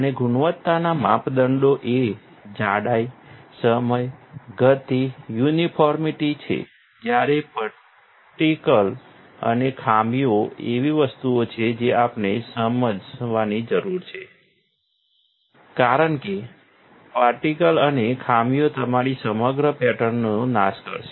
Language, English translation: Gujarati, And the quality measures are the thickness, the time, speed, uniformity while particles and defects are something that we need to also understand, because the particles and defects will destroy your overall pattern